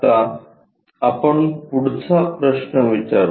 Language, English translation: Marathi, Now, let us ask next question